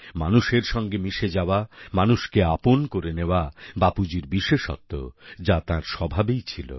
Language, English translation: Bengali, Getting connected with people or connecting people with him was Bapu's special quality, this was in his nature